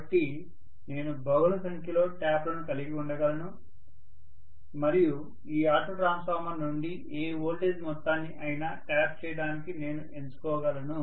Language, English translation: Telugu, So I can have multiple number of taps and I can choose to tap any amount of voltage out of this auto transformer, I should be able to do this as per my requirement, okay